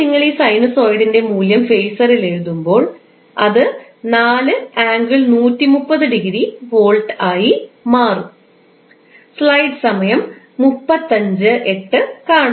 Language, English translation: Malayalam, So now what you will write in phaser terms, the phaser terms, the value of this sinusoid is 4 angle 130 degree volt